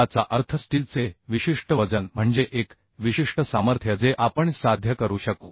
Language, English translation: Marathi, that means a particular weight of steel, means a particular strength